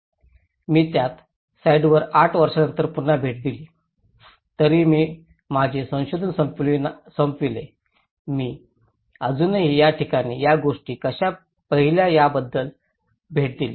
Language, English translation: Marathi, I visited the same site again after eight years though, I finished my research I still visited these places how these things